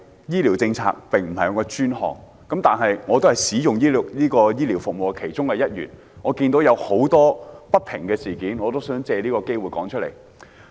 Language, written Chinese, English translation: Cantonese, 醫療政策並非我的專屬範疇，但我亦是使用醫療服務的其中一員，眼見社會上許多不平事，希望藉此機會說出來。, Healthcare policy is not my area of expertise but I am among the users of healthcare services who have witnessed the many instances of social injustice and wish to take this opportunity to speak up